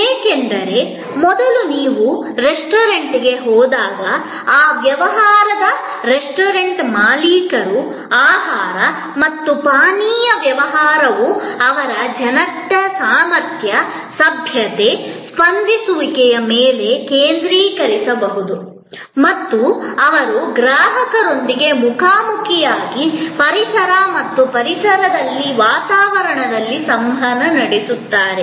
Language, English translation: Kannada, Because, earlier when you went to a restaurant, the restaurant owners of that business, food and beverage business could focus on the competencies, politeness, responsiveness of their people and they interacted face to face with the customer in an environment and ambiance of the restaurant